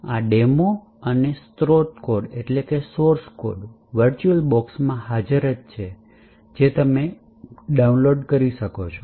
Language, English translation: Gujarati, This demo and the source code is actually present in a virtualbox which you can actually download